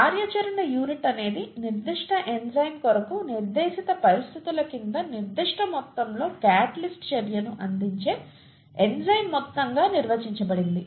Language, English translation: Telugu, Units, a Unit of activity is defined as the amount of enzyme which gives a certain amount of catalytic activity under a prescribed set of conditions for that particular enzyme, okay